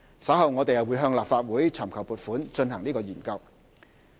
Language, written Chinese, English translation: Cantonese, 稍後我們會向立法會尋求撥款以進行研究。, We will seek funding from the Legislative Council for conducting the Study later